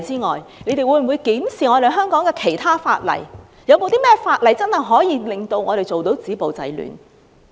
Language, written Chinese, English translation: Cantonese, 當局會否檢視其他法例，探討有何方法可真正做到止暴制亂？, Will the Government examine other laws and explore ways to genuinely stop violence and curb disorder?